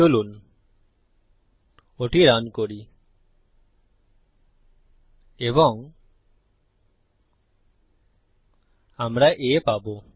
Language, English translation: Bengali, Let us give that a run and we got A